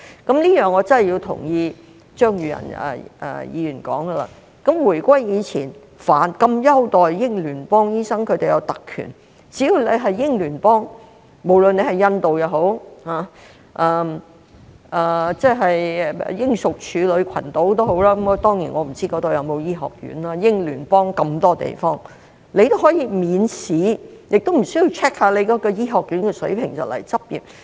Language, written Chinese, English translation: Cantonese, 就此，我必須同意張宇人議員所說，在回歸前，那麼優待英聯邦醫生，讓他們享有特權，只要來自英聯邦，無論是印度或英屬處女群島——當然，我不知那裏有否醫學院，英聯邦有那麼多地方——便可以免試，也無須 check 醫學院的水平，便可前來執業。, In this regard I must agree with Mr Tommy CHEUNG that before the return of sovereignty Commonwealth doctors were treated so well and given some privileges . As long as they came from the Commonwealth be it India or the British Virgin Islands―of course I do not know if there are medical schools as there are such a lot of places in the Commonwealth―they could come to Hong Kong for practice without the need of taking any examination or having the standards of their medical schools checked